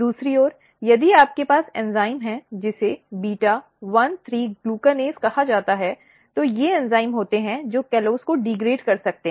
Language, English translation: Hindi, On the other hand, if you have enzyme which is called beta 1,3 glucanase, these are the enzymes which can degrade callose